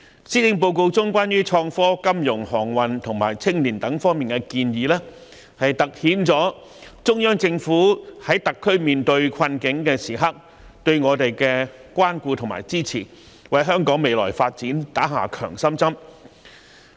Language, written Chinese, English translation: Cantonese, 施政報告中有關創科、金融、航運及青年發展等方面的建議，凸顯了中央政府在特區面對困境時對我們的關顧和支持，為香港的未來發展打了一支強心針。, The proposed initiatives in the Policy Address concerning innovation and technology financial services aviation industry and youth development have highlighted the care and support of the Central Government for the plight - stricken Hong Kong Special Administrative Region HKSAR which will be a shot in the arm for the future development of Hong Kong